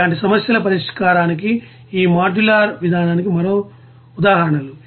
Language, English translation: Telugu, Another examples of this modular approach to the solution of the problems like this